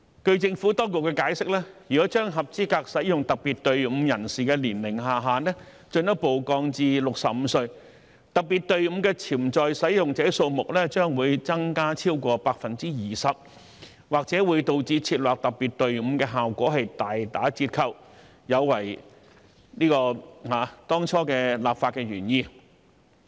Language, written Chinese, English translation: Cantonese, 據政府當局解釋，如果將合資格使用特別隊伍人士的年齡下限進一步降至65歲，特別隊伍的潛在使用者數目將會增加超過 20%， 或會導致設立特別隊伍的效果大打折扣，有違當初立法原意。, The Administration has explained that if the minimum age limit for persons eligible to use the special queue is further lowered to 65 the number of potential users of the special queue would increase by more than 20 % . As a result the special queue may become ineffective which would undermine the legislative intent of setting it up